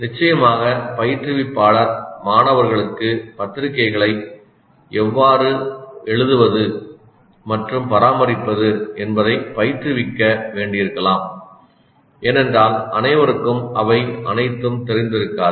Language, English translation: Tamil, Of course, instructor may have to train the students in how to write and maintain the journals because all of them may not be familiar